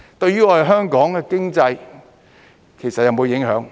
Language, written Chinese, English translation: Cantonese, 對於我們香港的經濟，其實有否影響？, Will it have any implications on the economy of Hong Kong in fact?